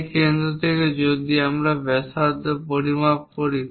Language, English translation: Bengali, From that center if we are measuring the radius we usually go with that